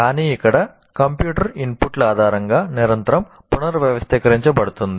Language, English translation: Telugu, But here the computer itself is continuously reorganizing itself on the basis of input